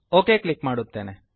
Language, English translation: Kannada, Let me click ok